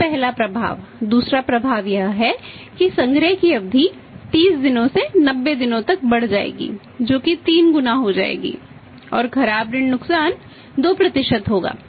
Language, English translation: Hindi, This the first effect, second effect here is that collection period will be increasing from 30 days to 90 days that will be going to by 3 times and 2% and the bad debt losses will be 2%